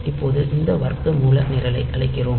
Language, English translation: Tamil, Now, we are calling this square root program